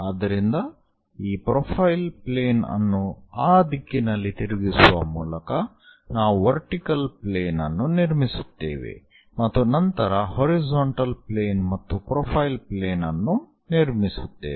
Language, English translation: Kannada, So, by flipping this profile plane in that direction, we will construct a vertical plane followed by a horizontal plane and a profile plane